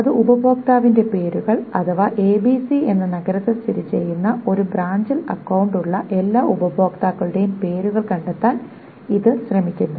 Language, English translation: Malayalam, It tries to find out the customer names, names of all customers who has an account in a branch which is located in the city, ABC